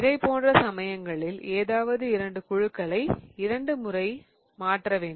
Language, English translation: Tamil, So, in such cases what you want to do is you want to swap any two groups twice